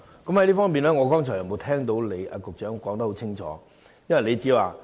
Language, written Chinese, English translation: Cantonese, 就此，我剛才並無聽到局長清楚說明。, On this question I did not hear the Secretary giving a clear account